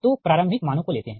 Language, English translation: Hindi, so we cannot take this value